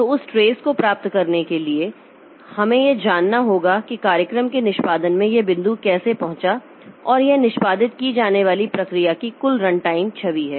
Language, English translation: Hindi, So, for getting that trace, so we need to know like how this point was reached in program execution and that is the total runtime image of the process that is executing